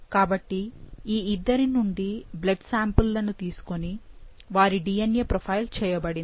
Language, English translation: Telugu, So, blood was taken from both these individuals and their DNA profile was done profiling was done